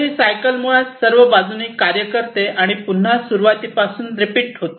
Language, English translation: Marathi, So, this cycle so basically it goes through this side these all these tasks and again repeat from the start